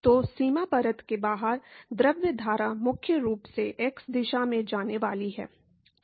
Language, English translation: Hindi, So, the fluid stream outside the boundary layer is primarily going to move in the x direction